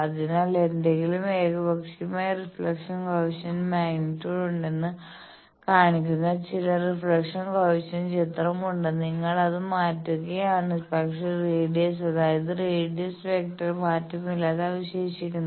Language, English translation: Malayalam, So, I have some reflection coefficient picture that there is any arbitrary reflection coefficient magnitude, and you are changing it, but the radius; that means, that radius vector is remaining change